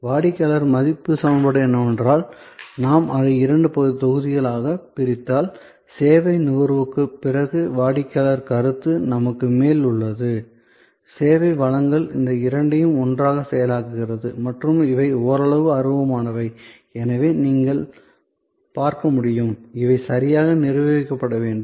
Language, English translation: Tamil, The customer value equation is that if we divided it in two blocks that on the top we have customer perception after service consumption and the service delivery process, these two together and these are somewhat intangible as you can see therefore, these they will have to be properly managed